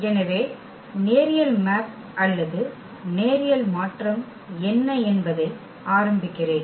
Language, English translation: Tamil, So, let me start with what is linear mapping or linear transformation